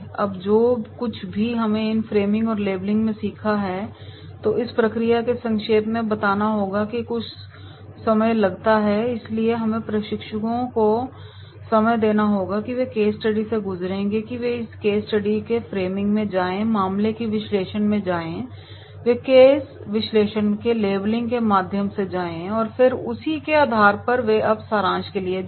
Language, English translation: Hindi, The tapes are now whatever we have learned into these framing and labelling, during summarising this process can take some time, so we have to give time to trainees that is they will go through the case study they will go to the framing of this case study in case analysis, they will go through the labelling of the case analysis and then on the basis of that they will go now for the summarising